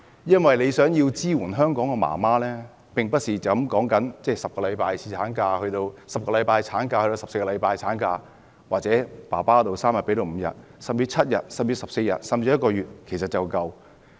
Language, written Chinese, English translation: Cantonese, 如果想支援香港媽媽，並不只是將產假由10星期增至14星期或侍產假由3天增至5天，甚至7天、14天或1個月就足夠。, If the Government really intends to give support to mothers in Hong Kong it is not enough just to extend maternity leave from 10 weeks to 14 weeks or to extend paternity leave from three days to five days or even to seven days fourteen days or one month